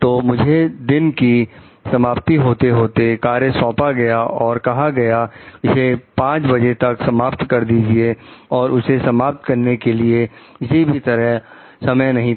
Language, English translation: Hindi, So, I was given the assignment late in the day and tell to finish by 5 there was not time to do it another way